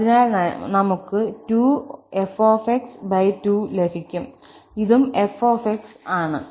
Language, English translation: Malayalam, So, we have 2 times f divided by 2, it is simply f